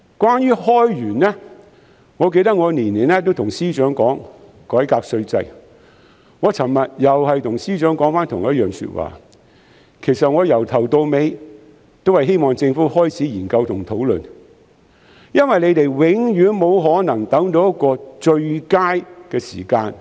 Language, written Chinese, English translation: Cantonese, 關於開源，我記得我每年都會跟司長說改革稅制，我昨天又再跟司長說同一番說話，其實我由頭到尾只是希望政府開始研究和討論，因為它永遠沒有可能等到一個最佳的時間以改革稅制。, In terms of broadening sources of income I remember that every year I would ask the Financial Secretary to reform the tax regime and I said the same to him yesterday . In fact right from the outset I just wanted the Government to commence its study and discussion about this issue as it could never wait for the best moment to reform the tax regime